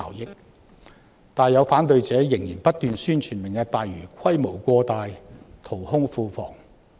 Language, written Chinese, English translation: Cantonese, 然而，有反對者仍然不斷宣傳"明日大嶼願景"規模過大、淘空庫房。, However some opponents still continue to advertise that the Lantau Tomorrow Vision with its lavish scale will empty the coffers